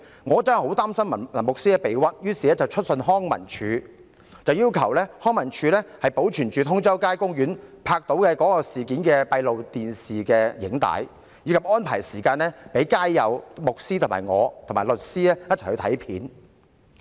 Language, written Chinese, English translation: Cantonese, 我真的很擔心牧師被誣衊，於是致函康樂及文化事務署，要求康文署保存通州街公園閉路電視拍下有關事件的錄影帶，以及安排時間讓街友、牧師、我和律師一同前往翻看片段。, Really worried that the priest would be framed I wrote to the Leisure and Cultural Services Department LCSD requesting it to keep the videos about the incident recorded by the closed - circuit television in Tung Chau Street Park and make an arrangement for the street sleepers the priest the lawyer and me to watch the footage together